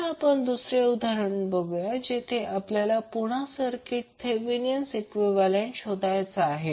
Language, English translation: Marathi, Now, let us see another example where we need to find again the Thevenin equivalent for the circuit